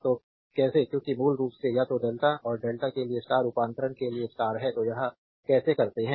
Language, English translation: Hindi, So, how to because basically you have to either star to delta and delta to star conversion; so, how we do this